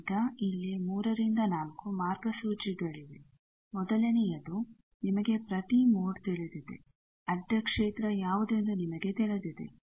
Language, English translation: Kannada, Now, there are 3 4 guidelines, the first is you know every mode, you know, what is the transverse field